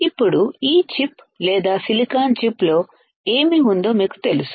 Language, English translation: Telugu, Now, you know that how this how this chip or what is there within the silicon chip